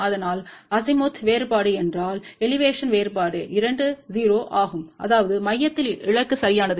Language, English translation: Tamil, So, if Azimuth difference as well as Elevation difference both are 0 that means, target is right at the center